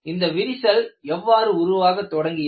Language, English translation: Tamil, And how this crack has been initiated